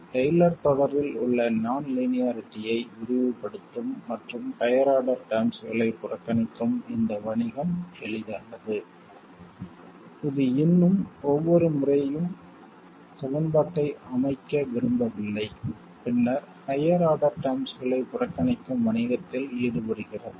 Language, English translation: Tamil, So while this business of expanding the non linearity in Taylor series and neglecting higher order terms this is easy, we still don't want to set up the equations every time and then go about this business of neglecting higher order terms